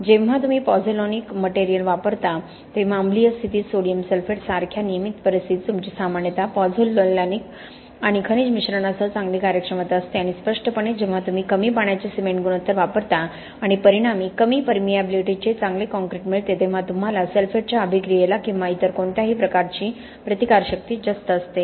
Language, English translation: Marathi, In regular conditions like sodium sulphate you generally have much better performance with pozzolanic and mineral admixtures and obviously when you use low water cement ratio and result in a good concrete of less permeability you obviously have a much higher resistance to sulphate attack or any other form of chemical attack also